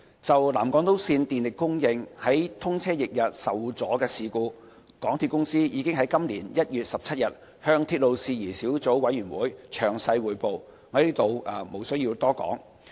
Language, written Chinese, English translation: Cantonese, 就南港島線電力供應於通車翌日受阻的事故，港鐵公司已於今年1月17日向鐵路事宜小組委員會詳細匯報，我在此無須多說。, The MTR Corporation Limited MTRCL already reported in detail the power outage incident on 29 December 2016 to the Subcommittee on Matters relating to Railways on 17 January 2017 and it would not be covered here